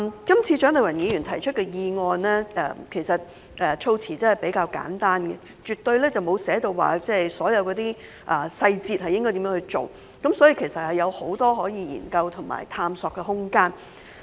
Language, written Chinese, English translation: Cantonese, 這次蔣麗芸議員提出的議案的措辭較為簡單，沒有指明應如何執行有關細節，所以有很多研究和探索的空間。, The wordings of the motion proposed by Dr CHIANG Lai - wan this time are relatively simpler without specifying the implementation details . Thus there is a lot of room for study and exploration